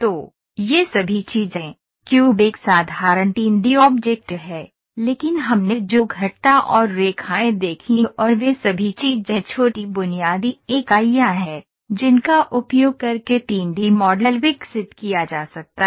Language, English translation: Hindi, So, all these things cube versus is a simple 3 D object, but what we saw curves and lines and all those things are small basic entities which can be use to develop 3 D model